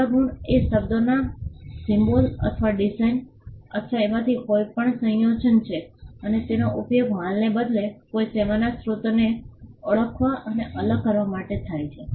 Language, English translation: Gujarati, Service marks are word phrase symbol or design or combination of any of these and they are used to identify and distinguish the source of a service rather than goods